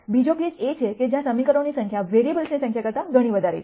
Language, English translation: Gujarati, So, that finishes the case where the number of equations are more than the number of variables